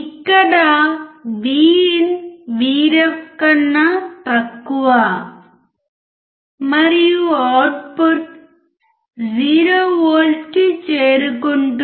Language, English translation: Telugu, Here VIN is less than VREF and output will reach to 0V